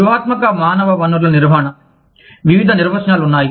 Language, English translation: Telugu, Strategic human resource management, there are various definitions